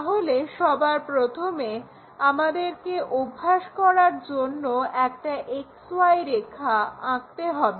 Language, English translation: Bengali, First of all we have to draw XY line